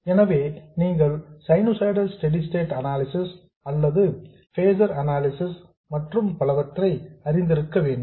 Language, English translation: Tamil, So, you should have known sinusoidal steady state analysis or phaser analysis and so on